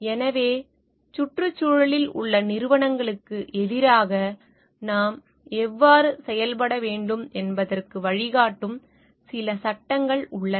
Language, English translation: Tamil, So, there are certain laws which guides towards how we should be acting towards the entities in the environment